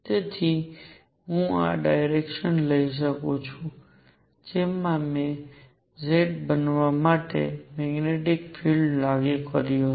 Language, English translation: Gujarati, So, I can take this direction in which I have applied the magnetic field to be z